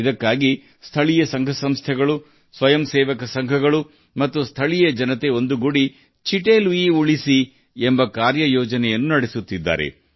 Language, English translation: Kannada, For this, local agencies, voluntary organizations and local people, together, are also running the Save Chitte Lui action plan